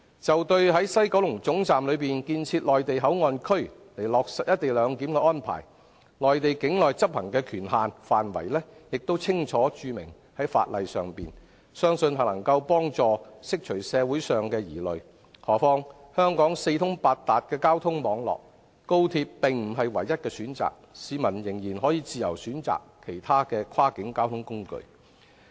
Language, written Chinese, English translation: Cantonese, 就在西九龍總站內建設內地口岸區以落實"一地兩檢"的安排，內地境內執行的權限範圍已清楚註明在法例上，相信能夠幫助釋除社會上的疑慮；何況，香港的交通網絡四通八達，高鐵並不是唯一的選擇，市民仍然可以自由選擇其他跨境交通工具。, With regard to the setting up of Mainland port area for implementing the co - location arrangement in the West Kowloon Terminus the limits of enforcement authority in the Mainland area has clearly been delineated in the legislation and this presumably is helpful to relieving the doubts in society . What is more the transport network in Hong Kong is so well developed that XRL is not the only option available . People can freely choose other means of cross - border transport